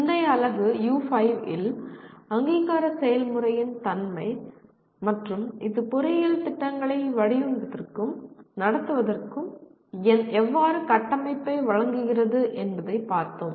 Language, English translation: Tamil, In the previous unit U5, we looked at the nature of the accreditation process and how it provides the framework for designing and conducting engineering programs